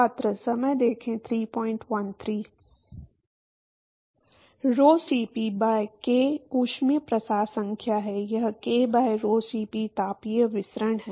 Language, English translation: Hindi, Rho Cp by k is thermal diffusivity no; it is k by rho Cp is thermal diffusivity